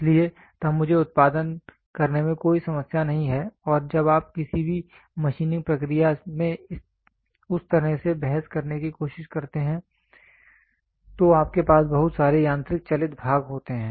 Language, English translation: Hindi, So, then I do not have any problem in producing and when you try to argue in that way in when you take any machining process you have lot of mechanical moving parts